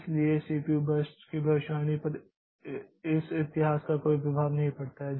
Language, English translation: Hindi, So, this the history does not have any effect on the CPU on the prediction of the next CPU burst